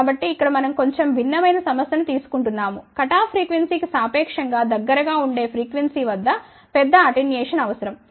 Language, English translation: Telugu, So, here we are taking a little different problem in a sense that a larger attenuation is require at relatively closer frequency to the cut off frequency